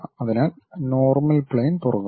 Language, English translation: Malayalam, So, normal plane opens up